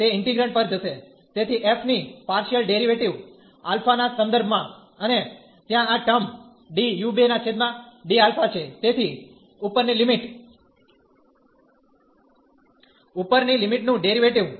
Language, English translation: Gujarati, It will go to the integrand, so the partial derivative of f with respect to alpha, and there will be a term d u 2 over delta so the upper limit, the derivative of the upper limit